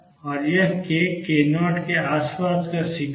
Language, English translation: Hindi, And this k a is peak around k 0